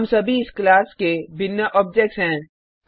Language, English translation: Hindi, We are all different objects of this class